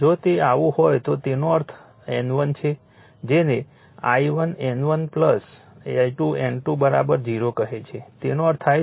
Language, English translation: Gujarati, If it is so that means, my N 1your what you call I 1 N 1 plus I 2 N 2 is equal to 0, that means